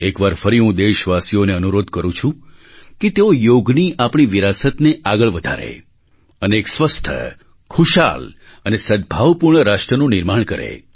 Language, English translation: Gujarati, Once again, I appeal to all the citizens to adopt their legacy of yoga and create a healthy, happy and harmonious nation